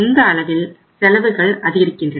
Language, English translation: Tamil, At this level the costs are going up